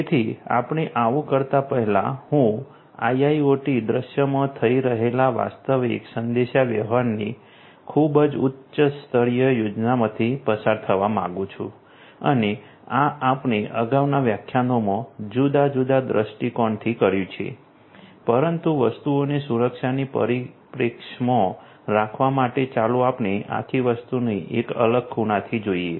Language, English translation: Gujarati, So, before we do so I would like to go through a very high level schematic of the actual communication taking place in an IIoT scenario and this we have done in different different perspectives in the previous lectures, but in order to keep things in the perspective of security let us revisit the whole thing from a different angle